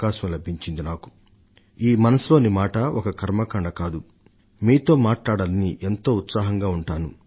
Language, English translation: Telugu, For me, 'Mann Ki Baat' is not a matter of ritual; I myself am very eager to talk to you